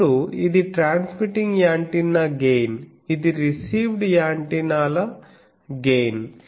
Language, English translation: Telugu, Now this is transmitting gain transmitting antennas gain this is received antennas gain